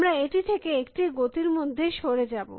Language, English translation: Bengali, We will move away from this in a movement